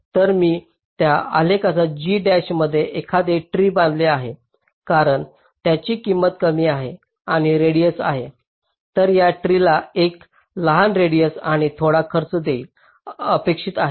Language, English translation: Marathi, so if i construct a tree in this graph, g dash, because it has a small cost and radius, this tree is also expected to have a small radius and a small cost